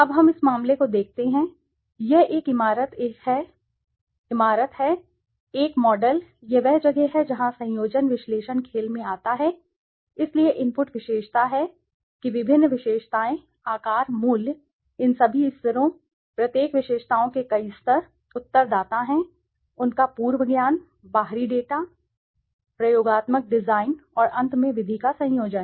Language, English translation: Hindi, Now let us see this case, this is a building a model, this is where conjoint analysis comes into play, so the inputs are attributes, that various attributes, size, price, all these levels, each attributes have several levels, respondents, their prior knowledge, external data, experimental design, and finally conjoint method